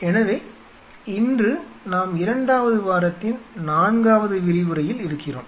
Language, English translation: Tamil, So, today we are into the 4 th lecture of the second